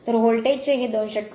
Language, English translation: Marathi, So this much of volt 288